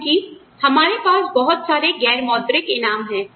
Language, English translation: Hindi, Because, we have so many, non monetary rewards, coming our way